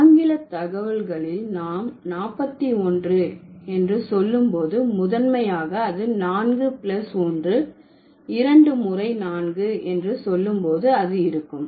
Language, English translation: Tamil, And in English data it's going to be when we say 41, that's going to, that's primarily 4 plus 1